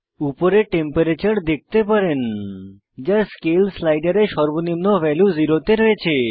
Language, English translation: Bengali, On the top you can see Temperature: scale slider with zero as minimum value